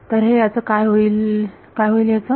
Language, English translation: Marathi, So, this will become what does this become